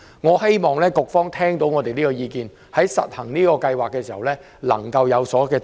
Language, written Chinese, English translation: Cantonese, 我希望局方聽到我們這項意見，在推行計劃時能夠有所行動。, I hope that the Food and Health Bureau has heard our views and will take suitable actions in implementing VHIS